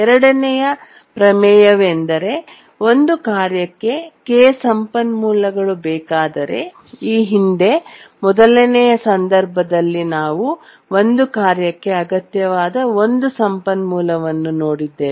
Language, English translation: Kannada, The second theorem is that if a task needs K resources, the first one we had looked at one resource needed by a task